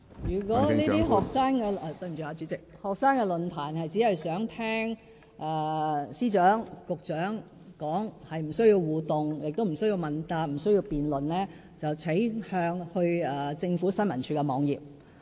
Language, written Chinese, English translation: Cantonese, 如果這些學生論壇只是想聽司長和局長發言，而不需要互動、亦不需要問答、不需要辯論，請大家瀏覽政府新聞處網頁。, If such student forums are only meant for people to listen to the speeches of the Secretary for Justice and the two Secretaries and if there are no interaction questions and answers or debate I think it is better for people to visit the website of the Information Services Department